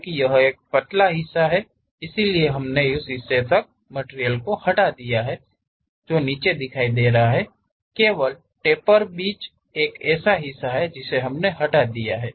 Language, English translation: Hindi, Because it is a tapered one; so we have removed that material up to that portion, the bottom is clearly visible, only the tapper middle one we have removed